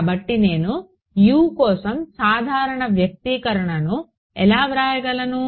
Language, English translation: Telugu, So, how do I in write a general expression for U